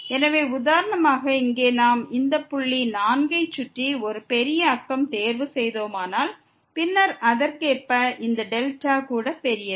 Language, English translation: Tamil, So, for instance here we have chosen a big neighborhood of around this point 4 and then, correspondingly this delta is also big